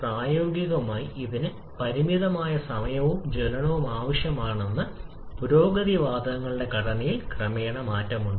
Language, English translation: Malayalam, Practically it requires the finite amount of time and as the combustion progress there is a gradual change in the composition of the gases